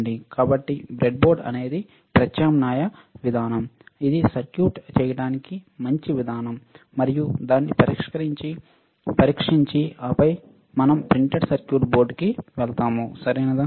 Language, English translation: Telugu, So, breadboard is an alternative approach is a better approach to making the circuit, and test it and then we move on to the printed circuit board, all right